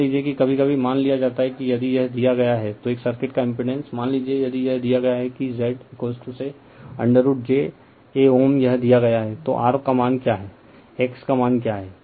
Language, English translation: Hindi, Suppose sometimes is given suppose if it is given that impedance of a circuit , suppose if it is given that Z is equal to say root j , a ohm it is given then what is the value of r what is the value of x right